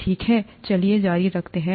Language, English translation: Hindi, Okay let’s continue